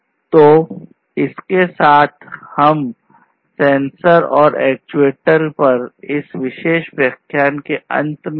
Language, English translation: Hindi, So, with this we come to an end of this particular lecture on sensors and actuators